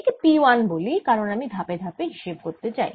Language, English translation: Bengali, lets call this p one, because i am going to go step by step